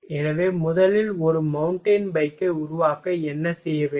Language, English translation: Tamil, So, first to make a mountain bike, what will have to do